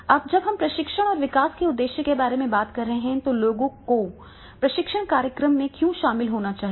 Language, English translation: Hindi, Now when when we are talking about the purpose of training and development, right, the why people should attend the training program